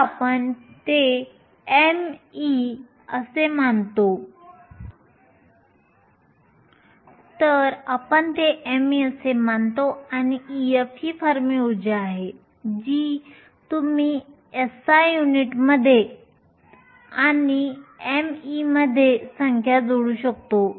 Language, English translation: Marathi, So, I have just left it as m e and e f is the Fermi energy you can plug in the numbers in SI units and m e